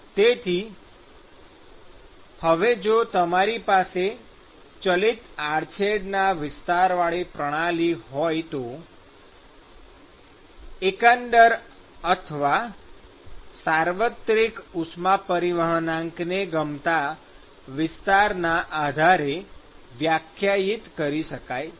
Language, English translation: Gujarati, So, now, if you have varying cross sectional area system, then the overall or the universal heat transport coefficient is defined based on the area of interest